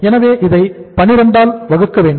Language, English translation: Tamil, So we will be dividing it again by 12